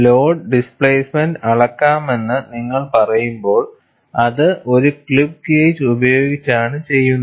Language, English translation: Malayalam, When you say you have to measure the load displacement, it is done by a clip gauge